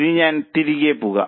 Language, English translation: Malayalam, Now I will go back